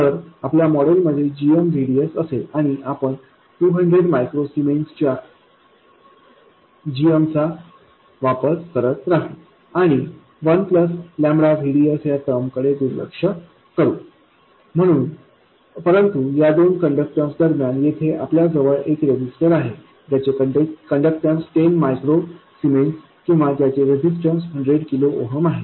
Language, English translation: Marathi, So, our model will consist of GM VGS and we will continue to use GM of 200 microcemen, ignoring the 1 plus lambda VDS term but significantly we have a resistor here between these two or a conductance whose conductance is 10 microcemens or whose resistance is 100 kilo ooms